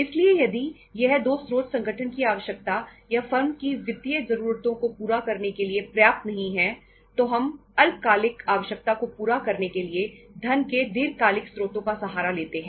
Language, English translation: Hindi, So if both these sources are not sufficient to fulfill the organizationís need or the firmís financial needs then we resort to the long term sources of the funds to fulfill the short term requirements